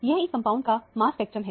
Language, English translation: Hindi, This is a mass spectrum of this compound